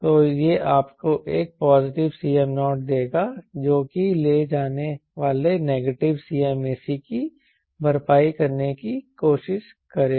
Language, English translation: Hindi, so that will give you a positive c m naught which will try to compensate for the negative c m exhibits it is carrying